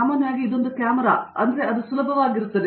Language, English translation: Kannada, Generally, so this is the camera that would be easier for you